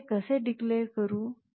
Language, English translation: Marathi, How do I declare that